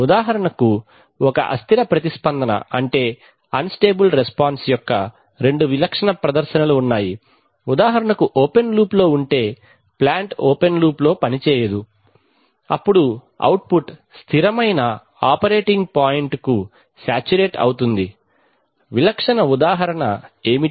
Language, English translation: Telugu, For example, take the case of, there are two typical demonstrations of an unstable response for example, in open loop if the plant is not a operated in open loop then the output saturates to a stable operating point, what is the typical example